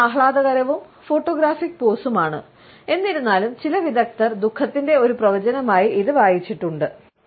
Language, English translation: Malayalam, It is a flattering and photographic pose; however, some experts have also read it as a projection of his sense of melancholy